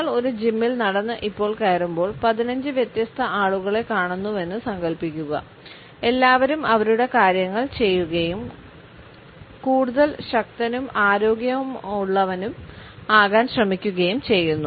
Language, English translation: Malayalam, Imagine you walk into a gym and see 15 different people all going about their business and trying to get stronger and healthier